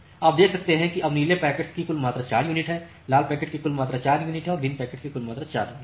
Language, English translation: Hindi, So, you can see that now total amount of blue packet is 4 unit, total amount of red packet is 4 unit and total amount of green packet is again 4 unit